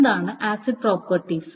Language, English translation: Malayalam, So what are the acid properties